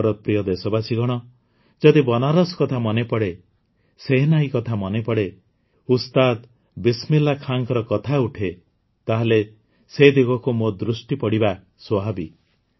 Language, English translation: Odia, My dear countrymen, whether it is about Banaras or the Shehnai or Ustad Bismillah Khan ji, it is natural that my attention will be drawn in that direction